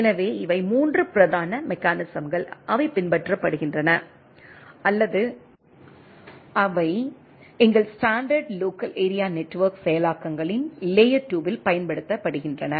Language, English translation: Tamil, So, these are the 3 predominant mechanisms, which is followed or which is deployed in the layer 2 of our standard local area network implementations